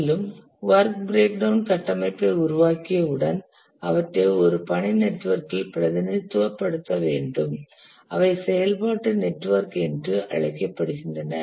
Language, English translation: Tamil, And once the work breakdown structure has been developed, we need to represent these in a task network, which are also called as activity network